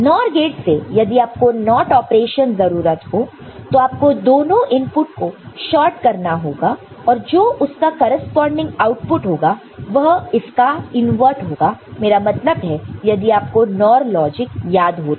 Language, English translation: Hindi, So, from NOR gate if you want to get a if you want to get a NOT operation – right, so, you just need to short both the inputs and then the corresponding output will be the invert of this, I mean, if you remember the NOR logic